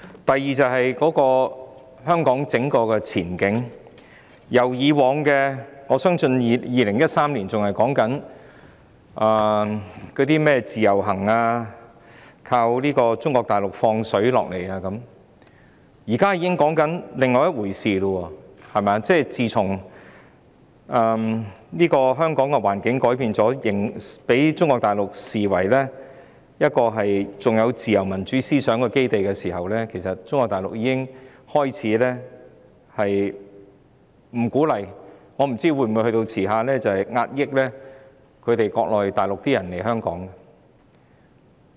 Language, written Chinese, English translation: Cantonese, 第二，關於香港的整體前景，我相信2013年仍在討論甚麼自由行，依靠中國大陸向香港"放水"，現在卻已經在討論另一回事：自從香港的環境改變，被中國大陸視為仍有自由民主思想的基地後，其實中國大陸已開始不鼓勵內地人士來港，我不知未來會否甚至加以壓抑。, Secondly my view on the overall outlook for Hong Kong is that unlike in 2013 when we were still discussing the so - called individual visits and relying on Mainland China to pump money into Hong Kong we are now already discussing another matter namely that ever since there was a change of the general situation in Hong Kong resulting in the city being regarded by Mainland China as a base where liberal and democratic ideology still persists Mainland China has effectively discouraged Mainlanders from coming to Hong Kong and I do not know whether it will even restrict arrivals in the future